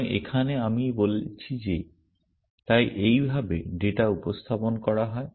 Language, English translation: Bengali, So, here I am saying that so this is the way data is represented